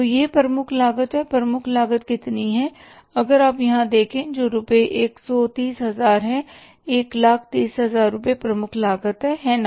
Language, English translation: Hindi, How much is the prime cost if you see here that is rupees, 130,000